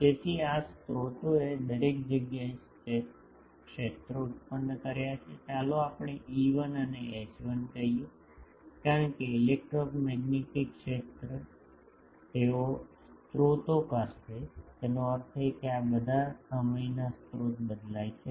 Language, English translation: Gujarati, So, this sources has produced fields everywhere let us say E1 and H1, because electromagnetic field they will sources mean these are all time varying sources